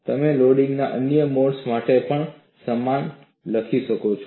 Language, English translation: Gujarati, You could write similar ones for other modes of loading as well